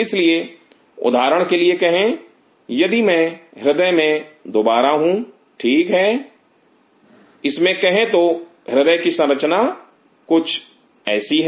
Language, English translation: Hindi, So, say for example, if I recope in the heart within it say the structure of the heart is something like this